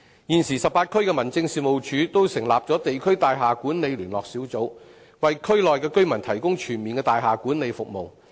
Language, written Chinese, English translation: Cantonese, 現時18區的民政事務處均成立了地區大廈管理聯絡小組，為區內居民提供全面的大廈管理服務。, At present District Building Management Liaison Teams have been set up in the 18 District Offices to provide comprehensive service on building management for district residents